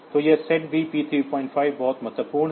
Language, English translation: Hindi, So, this SETB P3